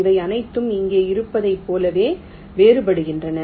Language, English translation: Tamil, they are all distinct as it was here